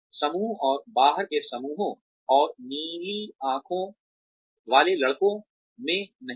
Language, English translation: Hindi, Do not have, in groups and out groups, and blue eyed boys